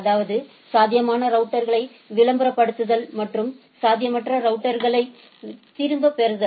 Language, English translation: Tamil, So, both advertising the possible feasible routers, and withdrawing infeasible routers